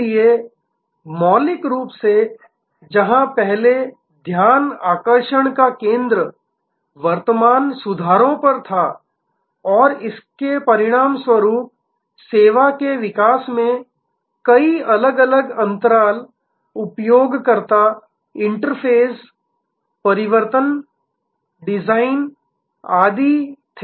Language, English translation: Hindi, So, fundamentally that, where the focus earlier was on current fixes and there as a result there were many different gaps in the evolution of the service, user interface, changes, design, etc